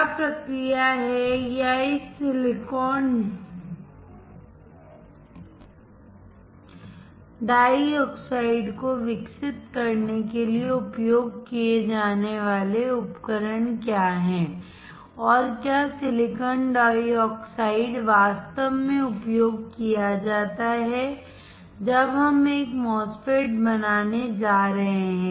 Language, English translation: Hindi, What is the process or what are the equipment used to grow this silicon dioxide and whether the silicon dioxide is actually used when we are going to fabricate a MOSFET